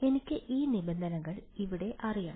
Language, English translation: Malayalam, I need to know these terms over here